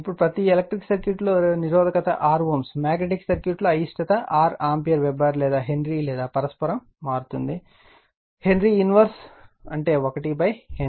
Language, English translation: Telugu, Now, resistance R ohm in electric circuit in per magnetic circuit, reluctance R ampere turns per Weber or Henry or your reciprocal right Henry to the power H 2 the power minus that means, 1 upon Henry right